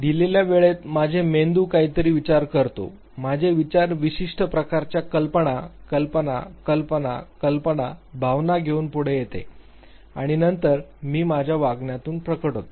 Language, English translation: Marathi, At a given point in time my brain thinks something, my mind comes forward with certain types of thoughts imaginations, fantasies, ideas, emotions and then I manifested in my behavior